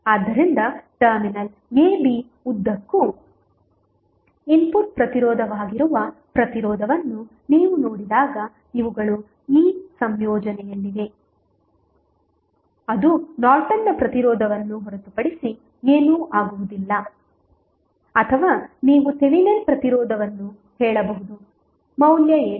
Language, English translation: Kannada, So, these are in this combination when you see resistance that is input resistance across terminal a, b that would be nothing but the Norton's resistance or you can say Thevenin resistance what would be the value